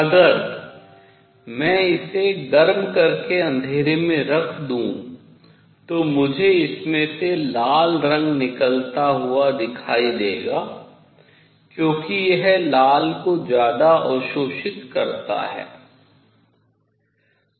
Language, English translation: Hindi, If I heat it up and put it in the dark, I am going to see red color coming out of it because it absorbs red much more